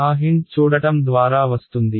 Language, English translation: Telugu, That hint comes from looking at the